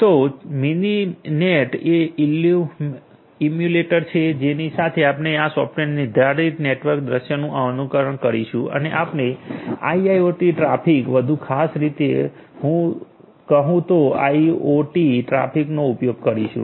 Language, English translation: Gujarati, So, Mininet is the emulator of with which we are going to emulate this software defined network scenario and we are going to use the IIoT traffic; IoT traffic more specifically